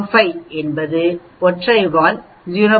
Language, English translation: Tamil, 05 means a single tailed 0